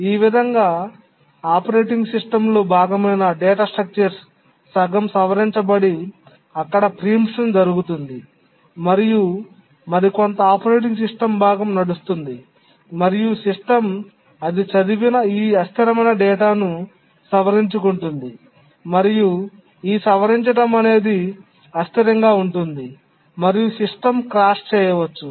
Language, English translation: Telugu, So if a data structure is part of the operating system that is modified halfway and then there is a preemption and some other part the operating system runs and then modifies this data inconsistent data it reads and modifies then it will lead to an inconsistent system and can cross the system